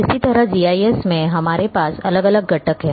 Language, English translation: Hindi, Similarly, in GIS we are having different components